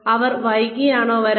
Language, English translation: Malayalam, Are they coming late